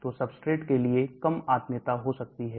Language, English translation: Hindi, So there could be reduced affinity for substrates